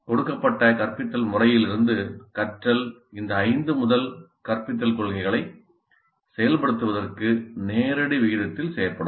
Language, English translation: Tamil, Learning from a given instruction method will be facilitated in direct proportion to the implementation of these five first principles of instruction